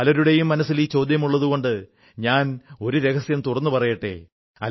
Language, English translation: Malayalam, Many people have this question in their minds, so I will unravel this secret